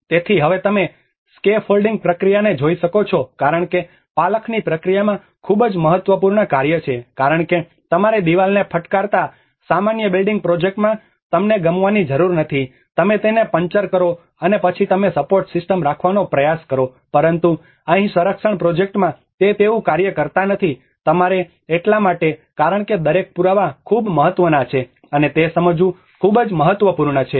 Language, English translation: Gujarati, \ \ \ So, now you can see the scaffolding process because in the scaffolding process is a very important task because you do not need to like in a normal building project you hit the wall, you puncher it and then you try to keep a support system, but here in conservation project, it does not work like that, you have to because each and every evidence is much more important significant and it is very critical to understand that